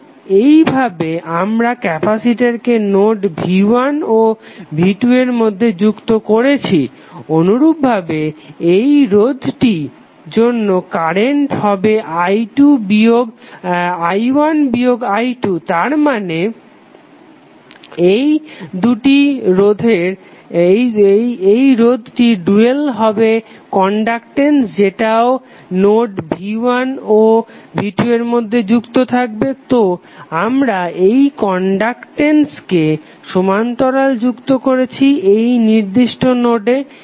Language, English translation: Bengali, So in this way we have connected node the capacitor between node v1 and v2, similarly for this resistance also the current is i1 minus i2 that means that this resistance the dual of this resistance that is conductance would also be connected between node 1 and node 2, so we have connected this conductance in parallel with capacitance in this particular node